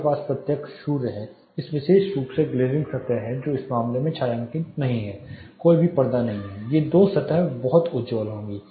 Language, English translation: Hindi, You have direct sun, there is this particular glazing surfaces which is not shaded in this case no curtains this two surfaces will be too bright